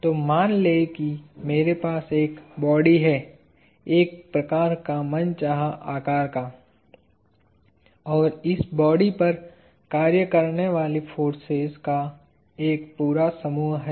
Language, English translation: Hindi, So, let us say I have a body, kind of arbitrarily shaped; and, there is a whole set of forces acting on this body